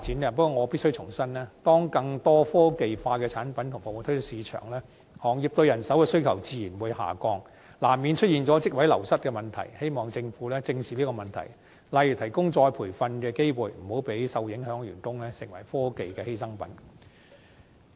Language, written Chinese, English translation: Cantonese, 不過，我必須重申，當更多科技化的產品及服務推出市場，行業對人手的需求自然下降，難免出現職位流失的問題，希望政府正視這個問題，例如提供再培訓的機會，以免令受影響的員工成為科技發展的犧牲品。, However I must reiterate that following the introduction of more technologically - advanced products and services in the market the manpower demand in the industry will naturally drop and the loss of jobs will be inevitable . I hope the Government will face up to the problem by for example providing retraining opportunities lest employees affected will not be victimized due to technological development